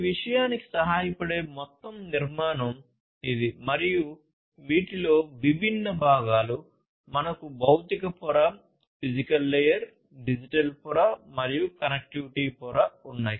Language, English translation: Telugu, So, this is the overall architecture that can help in this thing and these are the different components in it; we have the physical layer, we have the digital layer and we have the connectivity layer